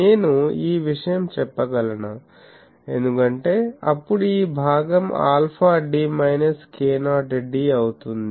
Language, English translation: Telugu, Can I say this, because then this part will go alpha d minus k not d